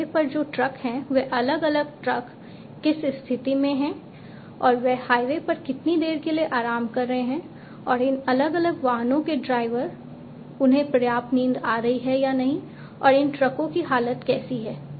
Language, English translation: Hindi, The trucks that are there on the highway at which position these different trucks are how much time they are resting on the highway and whether they are having adequate sleep or not their drivers of these different vehicles whether they are having adequate sleep or not and whether the condition of these trucks